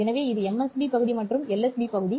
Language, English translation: Tamil, So this is the MSB portion and this is the LSB portion